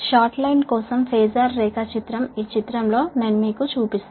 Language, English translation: Telugu, right, the phasor diagram for the short line i will show you in this figure, right